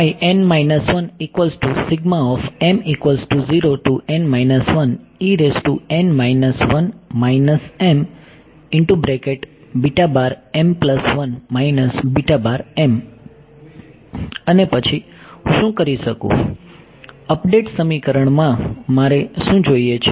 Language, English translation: Gujarati, And then what I can do is, in an update equation, what do I want